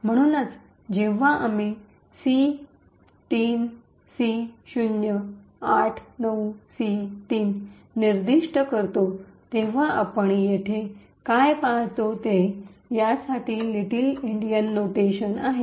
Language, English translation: Marathi, So, therefore, when we specify C3C089C3 what we actually see here is little Endian notation for the same